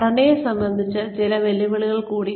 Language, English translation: Malayalam, Some more challenges, regarding the structure